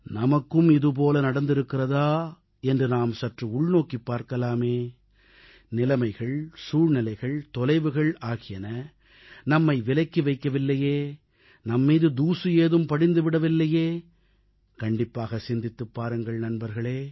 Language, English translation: Tamil, We should also check if such a thing has happened in our case too whether circumstances, situations, distances have made us alien, whether dust has gathered over our determinations